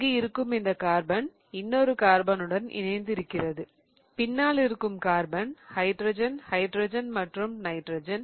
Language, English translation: Tamil, So, this carbon here is attached to one bond to the carbon, the back carbon, the hydrogen, hydrogen and hydrogen, right